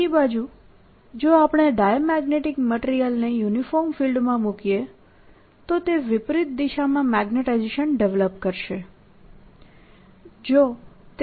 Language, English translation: Gujarati, on the other hand, if i look at diamagnetic material and put it in the similar uniform field, it'll develop a magnetizationally opposite direction